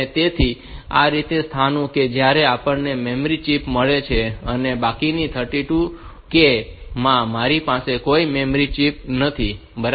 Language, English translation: Gujarati, So, these are the locations where we have got memory chips and remaining 32K I do not have any memory chip fine